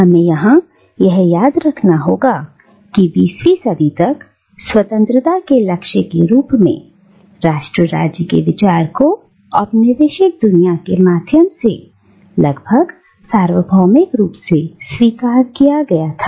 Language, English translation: Hindi, And we have to remember here that by the 20th century, the idea of nation state as the goal of freedom was accepted almost universally through the colonised world